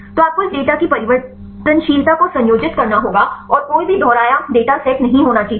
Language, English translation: Hindi, So, you have to combine the variability of this data and there should not be the any repeated data sets